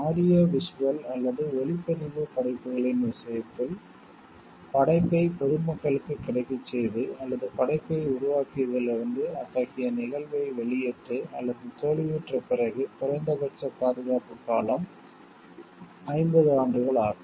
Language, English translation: Tamil, In the case of audio visual or cinematographic works, the minimum term of protection is 50 years after the making available of the work to the public or release or feeling such an event from the creation of the work